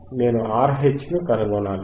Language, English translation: Telugu, I have to find R H